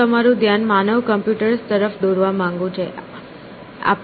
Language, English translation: Gujarati, So, I want to draw your attention to the phrase human computers